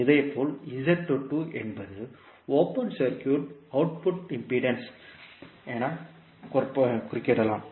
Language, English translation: Tamil, Similarly, Z22 is open circuit output impedance